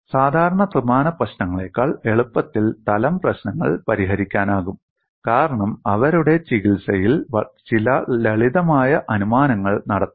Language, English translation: Malayalam, Plane problems can be solved easily than the general three dimensional problems since certain simplifying assumptions can be made in their treatment, that makes your life lot more simpler